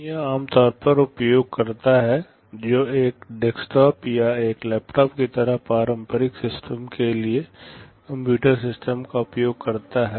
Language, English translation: Hindi, The outside world is typically the user who is using a computer system for conventional systems like a desktop or a laptop